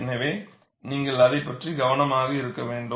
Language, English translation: Tamil, So, you have to be careful about that